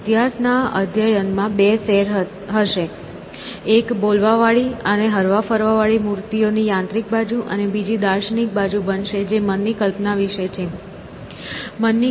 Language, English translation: Gujarati, So, in the study of history that we are going to be doing, there going to be two strands one is this mechanical side of talking statues, moving statues, and things like that; and other is going to be the philosophical side which is about what is the notion of the mind, how do the notion of the mind come